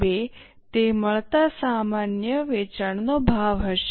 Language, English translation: Gujarati, 2 will be the normal selling price